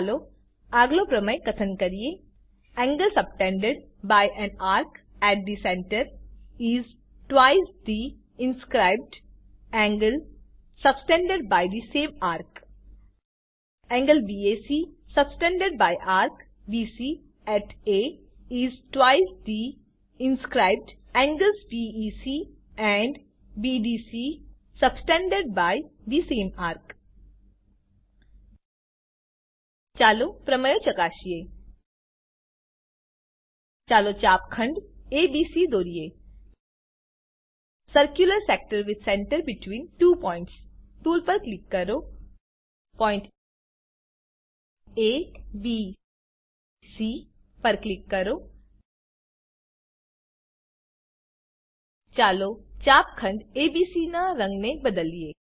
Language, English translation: Gujarati, Lets state a next theorem Angle subtended by an arc at the center, is twice the inscribed angles subtended by the same arc Angle BAC subtended by arc BC at A is twice the inscribed angles BEC and BDC subtended by the same arc Lets verify the theorem Lets draw a sector ABC Click on the Circular Sector with Center between Two Points tool